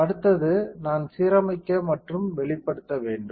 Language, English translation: Tamil, Next one is I have to align and expose